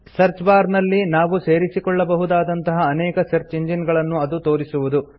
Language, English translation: Kannada, It displays a number of search engines that we can add to the search bar